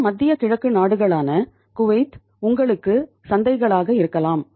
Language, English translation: Tamil, These middle east countries, Kuwait, can be the markets for you